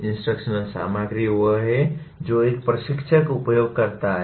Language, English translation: Hindi, Instructional materials are what an instructor uses